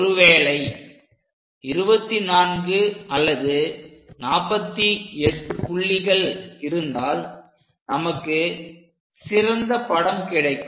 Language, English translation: Tamil, If we have 24 points or perhaps 48 points, we get better picture